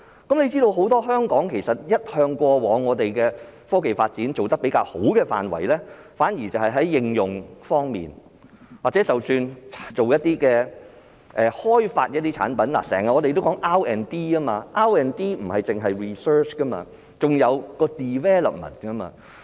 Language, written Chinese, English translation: Cantonese, 須知道香港過往在科技發展一向做得比較好的範圍，反而是在應用方面，即使是開發一些產品，我們經常說 R&D，R&D 不單是指 research， 還有 development。, It should be noted that as far as scientific and technological development is concerned Hong Kong has been doing a better job in the area of application and when it comes to products development we should bear in mind that apart from doing researches development is also a very important part in RD